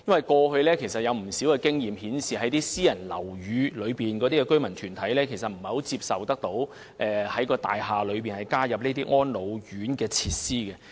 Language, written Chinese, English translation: Cantonese, 過去有不少經驗顯示，私人樓宇的居民團體其實不太接受在其大廈提供安老服務設施。, Past experience shows that many residents groups do not really accept having elderly service facilities in their buildings